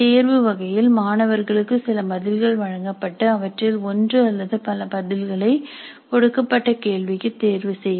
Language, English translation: Tamil, In the selection type the student is presented with certain responses and the student selects one or more of these as the response to be given to the question